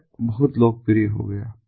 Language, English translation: Hindi, the web became very popular